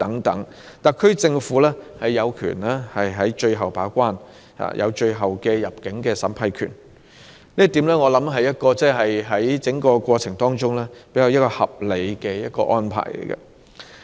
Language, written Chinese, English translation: Cantonese, 特區政府有權作最後把關，有最後的入境審批權，這一點相信是在整個過程中的一個較合理安排。, A more reasonable arrangement in the entire process is to let the SAR Government take on a final gatekeeping role and have the ultimate power to vet and approve entry for immigration